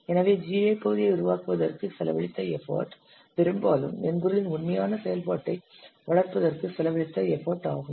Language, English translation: Tamil, Effort spent on developing the GI part is upon as much as the effort spent on developing the actual functionality of the software